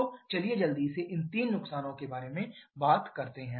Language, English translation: Hindi, So, let us quickly talk about these three losses